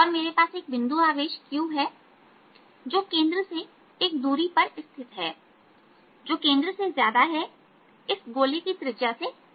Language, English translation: Hindi, and i have a charge point, charge q, which is located at a distance from the centre which is larger than the centre, ah, the radius of the, this sphere